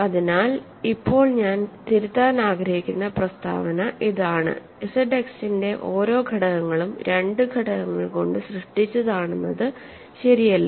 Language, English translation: Malayalam, So, the statement now I want to it is not true that every element of Z X is generated by 2 elements ok